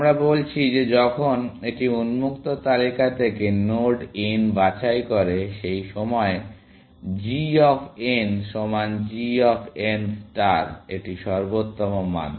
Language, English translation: Bengali, We are saying that when it picks node n from the open list, at that point, g of n equal to g star of n; this is the optimal value